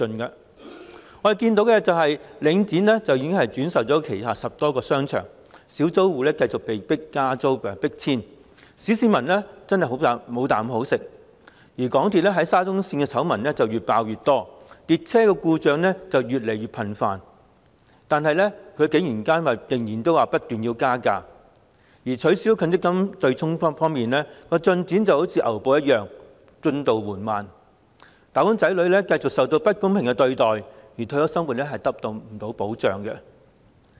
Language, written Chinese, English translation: Cantonese, 我們看到，領展已經轉售旗下10多個商場，小租戶繼續被加租和迫遷，小市民真的"無啖好食"；港鐵沙田至中環綫的醜聞越爆越多，列車故障越來越頻密，但竟然不斷提出加價；取消強積金對沖的進展則仿如牛步，進度緩慢，"打工仔女"繼續受到不公平對待，退休生活亦得不到保障。, As we can see with the resale of 10 - odd shopping arcades by Link REIT the small shop tenants have to pay higher rents and are forced to move out continuously thus making it really difficult for the ordinary public to lead a decent living . Despite the exposure of more and more scandals concerning the Shatin to Central Link of MTRCL and increasingly frequent service breakdowns MTRCL has continuously asked for a fare increase . The abolition of the MPF offsetting mechanism has been proceeded with at a snails pace and making slow progress